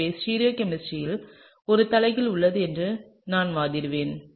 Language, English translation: Tamil, So, therefore, I would argue that there is an inversion in stereochemistry, right